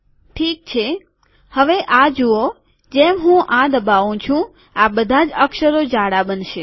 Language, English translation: Gujarati, Alright now, watch this as I click this all the letters will become bold